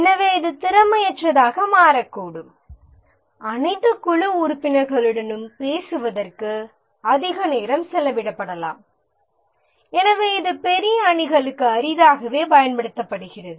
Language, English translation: Tamil, Too much of time may be spent in talking to all the team members and therefore it is rarely used for large teams